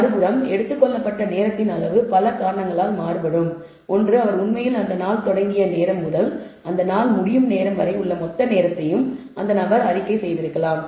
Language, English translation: Tamil, On the other hand the amount of time taken could vary because of several reasons; one because this guy reported the total time he actually started out on the day and when he returned to the office end of the day